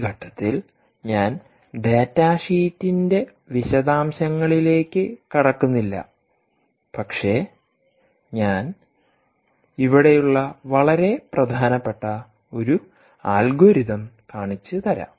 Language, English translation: Malayalam, i will not get into the detail of the data sheet at this stage, but i am trying to drive home a very important algorithm that is out here: ah um